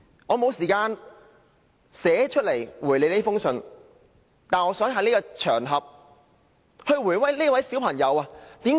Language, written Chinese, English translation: Cantonese, 我沒有時間書面回覆這封來信，但我想在此場合回答這位小朋友。, I did not have time to reply him in writing but I would like to give him a reply on this occasion